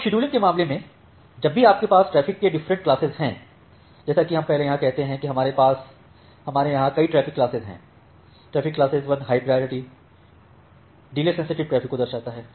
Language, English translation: Hindi, Now, in case of scheduling whenever you have this different classes of traffic like what we say here that we have multiple traffic classes here, say the traffic class 1 denotes the high priority delay sensitive traffic